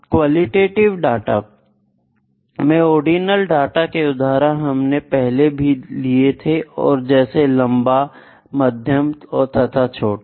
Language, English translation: Hindi, In ordinal data for qualitative example, I can say long medium small